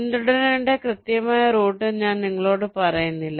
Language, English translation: Malayalam, we do not tell you the exact route to follow